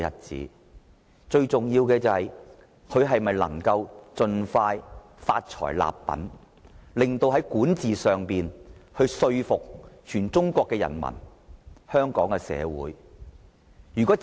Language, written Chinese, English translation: Cantonese, 最重要的是，他能否盡快發財立品，在管治方面令全中國人民和香港市民信服。, It is most important that he should develop a good character and do good deeds while he is rich . His governance must win the hearts of the people of whole China and the citizens of Hong Kong